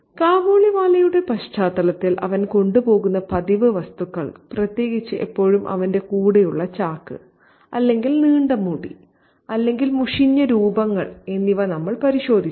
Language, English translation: Malayalam, In the context of the Kabaliwala, we had a look at the customary objects that he carries, especially the sack that is always with him, or the long hair or the burly look